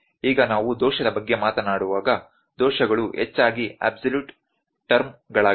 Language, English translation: Kannada, Now when we talk about the error, errors are absolute terms mostly